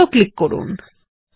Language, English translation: Bengali, Click on Circle